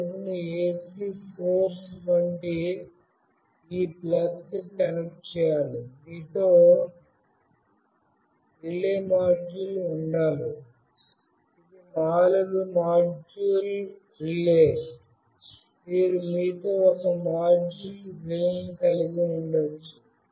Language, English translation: Telugu, This bulb should be connected to this plug like this AC source, you must have a relay module with you, this is a four module relay, you can have a single module relay with you also